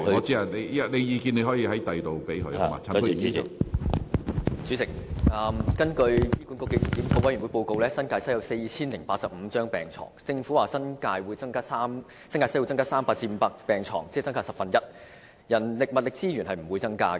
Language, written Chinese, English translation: Cantonese, 主席，根據醫管局檢討督導委員會的報告，新界西聯網有4085張病床，政府表示該聯網將會增加300張至500張病床，即增加大約 10%， 但人力和物力資源則不會增加。, President according to the report of the Steering Committee on Review of HA there are 4 085 beds in the NTW Cluster . The Government said that an addition of 300 to 500 beds would be provided in the cluster representing an increase of about 10 % but there would be no increase in manpower and other supplies